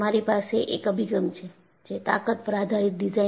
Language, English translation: Gujarati, You have one approach, design based on strength